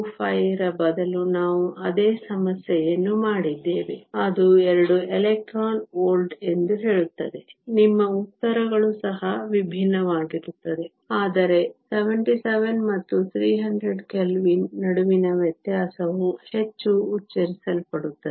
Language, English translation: Kannada, 25, we had done the same problem, which say 2 electron volts, your answers will also be different, but the difference between 77 and 300 Kelvin will also be more pronounced